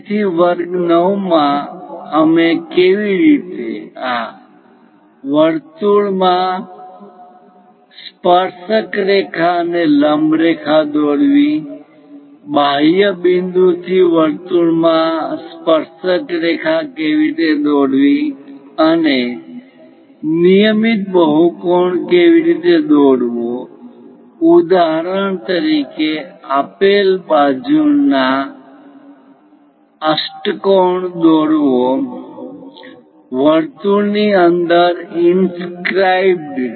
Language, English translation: Gujarati, So, in lecture 9 especially we covered how to drawnormal and tangent to a circle, how to draw a tangent to a circle from exterior point and how to construct a regular polygon for example, like octagon of given side circumscribeinscribed in a circle